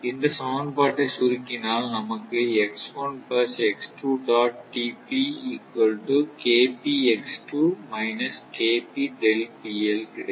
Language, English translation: Tamil, This you are getting from equation A